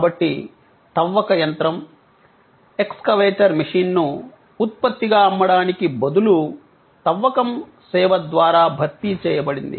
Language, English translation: Telugu, So, the sale of the excavation machine, excavator machine as a product was replaced by excavation service